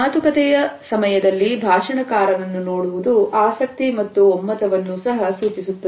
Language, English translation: Kannada, Looking at the speaker during the talk suggest interest and agreement also